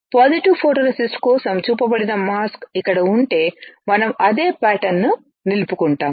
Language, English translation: Telugu, If this is the mask here which is shown for the positive photoresist we will retain the same pattern